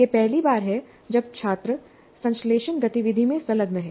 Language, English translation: Hindi, It is the first time the students engage in synthesis activity